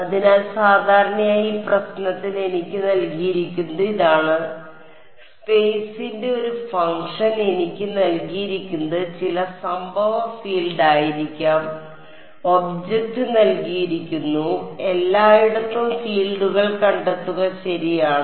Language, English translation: Malayalam, So, typically what is given to me in this problem is; epsilon r mu r as a function of space is given to me may be some incident field is given to me object is given find out the fields everywhere ok